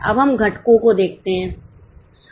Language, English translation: Hindi, Now, let us look at the components